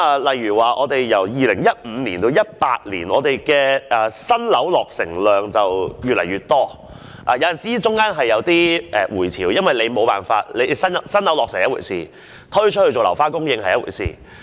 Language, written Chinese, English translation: Cantonese, 例如由2015年至2018年，本港的新樓落成量越來越多，當中當然也有起伏，因為有新樓落成是一回事，是否推出作樓花供應卻是另一回事。, For example the number of newly completed domestic flats in Hong Kong kept increasing in the period from 2015 to 2018 but the number of uncompleted flats put up for sale every year during the same period fluctuated because a constant supply of newly completed flats does not necessarily mean that a certain number of uncompleted residential units will always be made available for sale